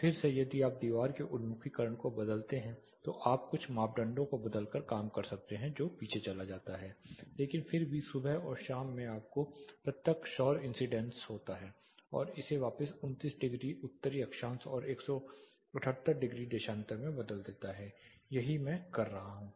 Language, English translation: Hindi, Again if you change the wall orientation you can work around by changing certain parameters it goes behind, but still morning and evening you have direct solar incidence and changing it back to 29 degrees north latitude 178 degree longitude, this is what I am working with right now